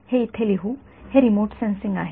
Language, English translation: Marathi, Let us just write it over here, this is remote sensing